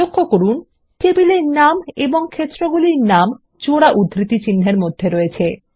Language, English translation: Bengali, Notice that the table name and field names are enclosed in double quotes